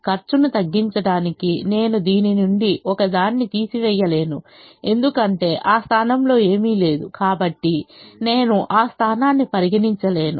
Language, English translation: Telugu, i can't take away one from this to decrease the cost because there is nothing in that position